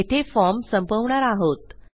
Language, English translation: Marathi, Well end our form here